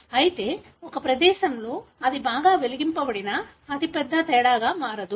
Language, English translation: Telugu, However in a, in a place whether it is well lit, it is not going to make a big difference